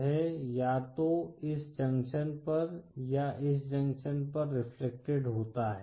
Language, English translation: Hindi, That is it’s reflected either at this junction or at this junction